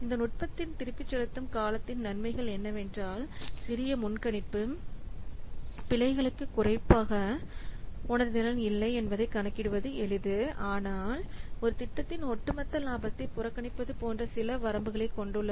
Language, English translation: Tamil, So you can see that the advantages of this technique payback payback is that that it is simple to calculate, no, not particularly sensitive to small forecasting errors, but it has some drawbacks like it ignores the overall profitability of the project